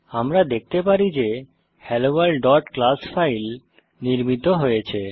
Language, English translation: Bengali, We can see HelloWorld.class file created